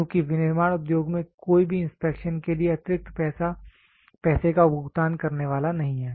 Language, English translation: Hindi, Because in manufacturing industry nobody is going to pay extra money for inspection